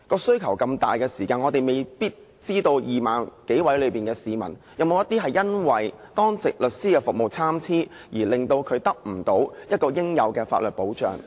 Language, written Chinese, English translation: Cantonese, 需求這麼大，我們未必知道，在這 20,000 多名市民中，是否有些因為當值律師的服務參差，而令他們無法獲得應有的法律保障呢？, We may not realize that the demand was this keen . Did any one of these 20 000 or so people fail to receive due protection in law due to the varying quality of duty lawyer services?